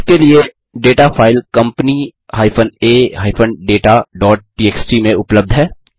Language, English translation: Hindi, The data for the same is available in the file company a data.txt